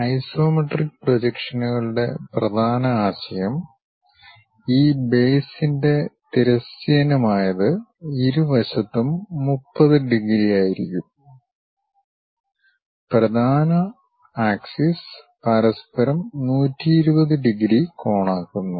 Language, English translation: Malayalam, And the main concept of isometric projections is, with the horizontal one of these base will be at 30 degrees on both sides and the principal axis makes 120 degrees angle with each other